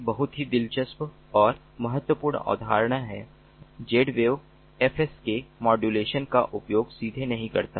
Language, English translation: Hindi, a very interesting and important concept is: z wave doesnt use fsk modulation directly